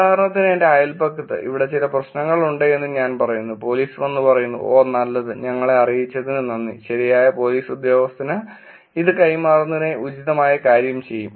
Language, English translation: Malayalam, For example, I say that there is some problem here by in my neighborhood and police comes and says, Oh good, thank you for letting us know about it and we will actually do the appropriate thing forwarding this to the right police officer all that